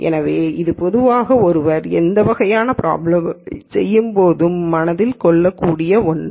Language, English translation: Tamil, So, that is in general something that one can keep in mind as one does these kinds of problems